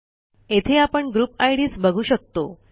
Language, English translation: Marathi, Here we can see the group ids